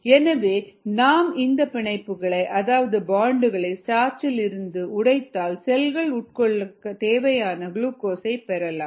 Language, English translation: Tamil, so if you break down these bonds from starch, then you can get glucose for the cells to consume